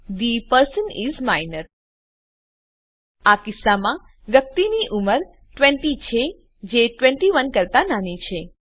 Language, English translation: Gujarati, The person is minor In this case, the persons age is 20, which is less than 21